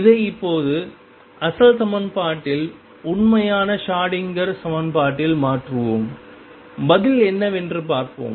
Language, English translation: Tamil, Let us now substitute this in the original equation the true Schrodinger equation and see what the answer comes out to be